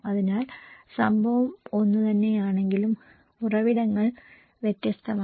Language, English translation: Malayalam, So, the event is same but the sources are different